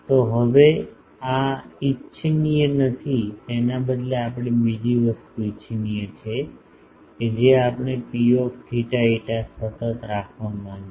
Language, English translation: Gujarati, Now, this is not desirable rather we the other thing is desirable we want to have P theta phi constant